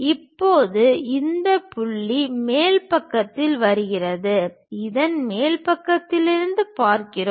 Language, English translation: Tamil, Now this point comes at top side of the we are looking from top side of that